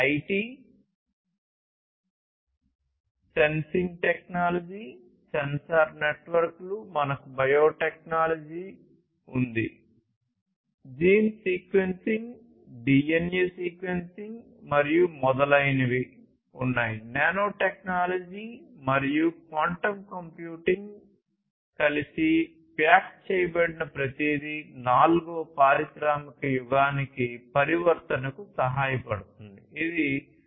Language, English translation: Telugu, IT, then sensors, sensing technology, sensor networks; then we have the biotechnology gene sequencing, DNA sequencing and so on; nanotechnology and quantum computing, everything packaged together is helping in the transformation to the fourth industrial age which is Industry 4